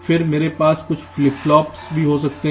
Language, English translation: Hindi, then i can also have some flip flops